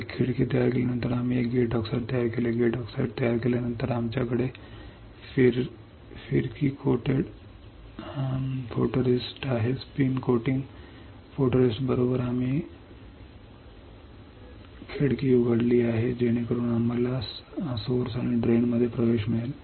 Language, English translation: Marathi, After creating a window, we created a gate oxide, after creating gate oxide we have spin coated photoresist after the spin coating photoresist right we have opened the window such that we can get the access to the source and drain